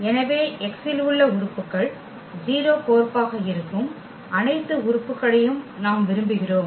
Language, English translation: Tamil, So, we want all those elements whose who those elements in X whose map is as a 0 element